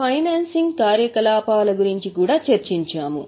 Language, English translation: Telugu, We also discussed financing activity